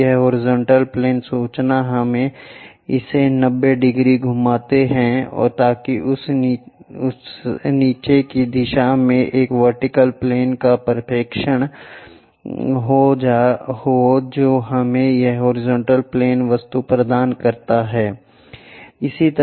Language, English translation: Hindi, Then, this horizontal plane information we rotate it 90 degrees, so that a vertical plane projection on to that downward direction which gives us this horizontal plane object we will get